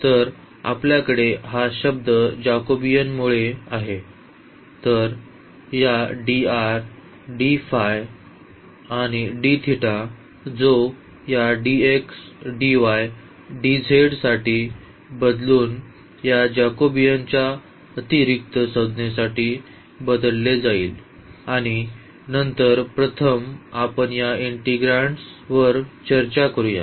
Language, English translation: Marathi, So, we have this term because of the Jacobian and then this dr d phi and d theta which will be replaced for this dx dy dz with this extra Jacobian term and then the first let us discuss these integrands